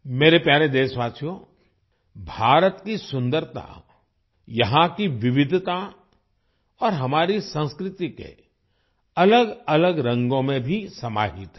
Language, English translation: Hindi, My dear countrymen, the beauty of India lies in her diversity and also in the different hues of our culture